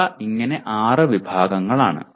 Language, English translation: Malayalam, These are six categories